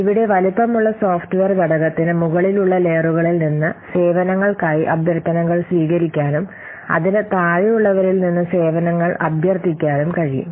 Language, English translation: Malayalam, So now as I have already told you that here, the software component that has to be sized can receive requests for services from layers above and it can request services from those below it